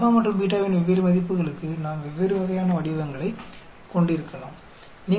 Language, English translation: Tamil, For different values of alpha and beta we can have different types of shapes